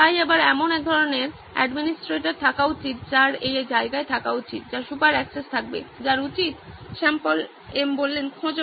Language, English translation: Bengali, So again there should be some kind of administrator that should be in place who should have super access, who should… Find